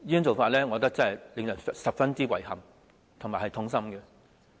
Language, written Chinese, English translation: Cantonese, 這是令人感到十分遺憾和痛心的。, This makes me feel very regrettable and disheartening